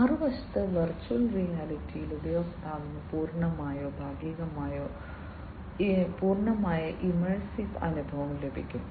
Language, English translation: Malayalam, And in virtual reality on the other hand complete or partly partial or complete immersive experience is obtained by the user